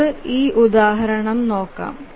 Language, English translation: Malayalam, Let's look at one example here